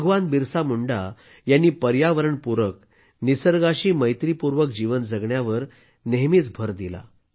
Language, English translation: Marathi, Bhagwan Birsa Munda always emphasized on living in harmony with nature